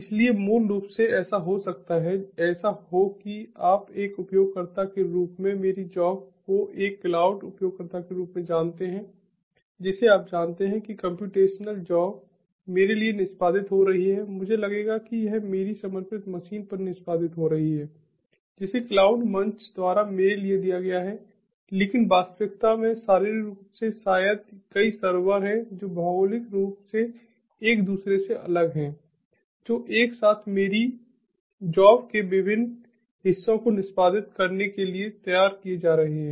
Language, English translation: Hindi, so, basically, it might so happen that, ah, you know, ah, as a user, my job, as a cloud user, my ah, you know, computational job is getting executed to me it i will get a feeling that it is get getting executed at my dedicated machine that has been given to me by the cloud platform, but in actuality, physically, maybe, there are multiple servers which are geographically separated from one another, which are together being pooled to execute different parts of my job